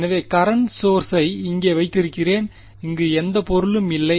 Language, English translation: Tamil, So, I have the current source over here and there is no object over here